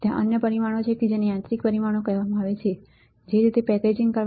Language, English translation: Gujarati, There are other parameters which are called mechanical dimensions right how the packaging is done